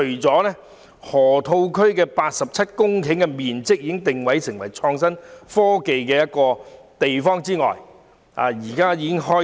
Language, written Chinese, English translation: Cantonese, 佔地87公頃的河套區已定位為發展創新科技的地方，並且正在施工。, The 87 - hectare Lok Ma Chau Loop has been positioned to develop IT and construction is now underway